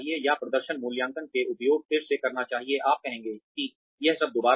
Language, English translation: Hindi, Why should we, or the uses of performance appraisal again, you will say that, this is all a repetition